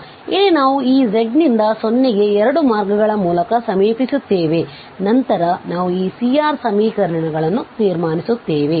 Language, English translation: Kannada, So, here we approach through 2 paths this deltas z to 0 and then we will conclude those C R equations